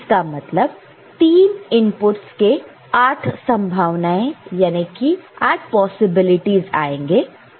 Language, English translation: Hindi, So, then there are with these 3 inputs there are 8 different possibilities in the truth table